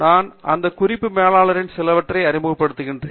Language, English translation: Tamil, I will be introducing some of those reference managers